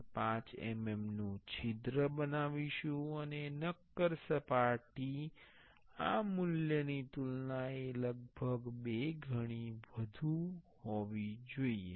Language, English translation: Gujarati, 5 mm mm hole and the solid surface should be around two times this value or more